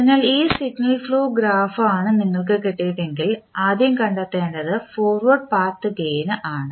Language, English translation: Malayalam, So, this is the signal flow graph if you get the first thing which you have to find out is forward path gain